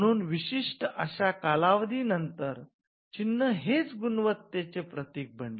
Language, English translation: Marathi, So, the mark over the period of time became symbols of quality